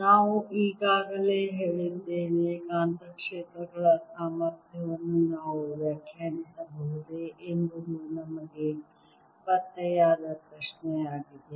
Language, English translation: Kannada, we also said there the question we are traced was: can we define a potential for magnetic fields